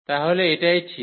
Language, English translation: Bengali, Well, so that is true